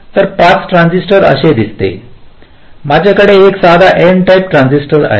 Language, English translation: Marathi, so a pass transistor looks like this: i have a simple n type transistor